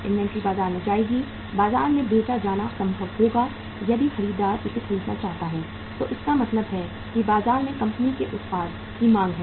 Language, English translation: Hindi, Inventory will go to the market, will be possible to be sold in the market if the buyer wants to buy it means there is a demand for the company’s product in the market